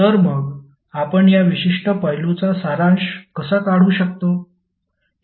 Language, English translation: Marathi, So how you can summarize this particular aspect